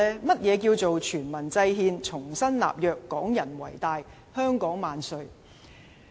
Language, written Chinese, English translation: Cantonese, 何謂"全民制憲、重新立約、港人為大、香港萬歲"呢？, What is meant by devising constitution by all people making new covenant Hong Kong people predominate all hail Hong Kong?